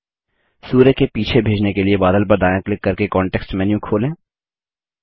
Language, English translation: Hindi, To send it behind the sun, right click on the cloud for the context menu